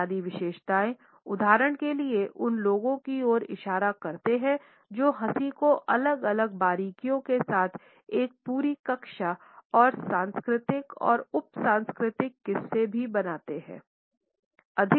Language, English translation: Hindi, The basic characteristics for example, point to those which like laughing form a whole class with different nuances and also possess cultural and subcultural varieties